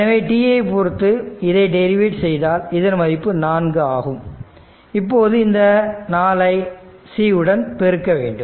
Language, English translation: Tamil, So, if you take the derivative with respect to it will we 4 and multiplied by C